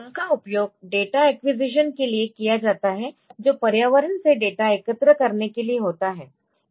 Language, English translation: Hindi, They are used for data acquisition that is for collecting data from the environment